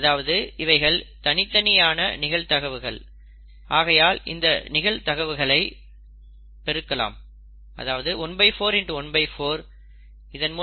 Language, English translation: Tamil, Independent events, you can multiply the probabilities